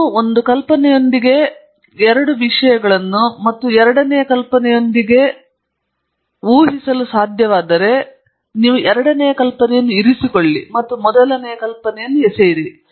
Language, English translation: Kannada, If you can predict two things with one idea and three things with the second idea, you keep the second idea and throw out the first